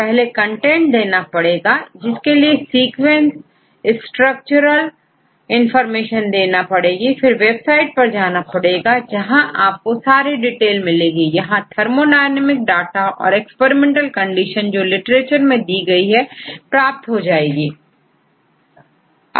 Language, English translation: Hindi, So, we give sequence structural information if we go to the website, you will get all the details and the thermodynamic data and the experimental conditions literature and so on